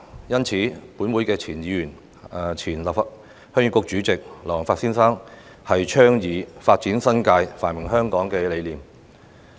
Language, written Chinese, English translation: Cantonese, 因此，本會前議員及前鄉議局主席劉皇發先生，便倡議"發展新界，繁榮香港"的理念。, For that reason former Legislative Council Member and former Chairman of the Heung Yee Kuk Dr LAU Wong - fat had been advocating the concept of Developing the New Territories to promote the prosperity of Hong Kong